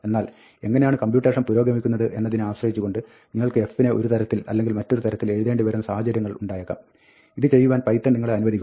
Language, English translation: Malayalam, But, there are situations where you might want to write f in one way, or another way, depending on how the computation is proceeding; and python does allow you to do this